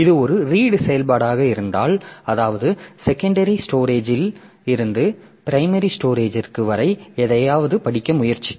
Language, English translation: Tamil, So, if it is a read operation that is, that means we are trying to read something from the secondary storage to the primary storage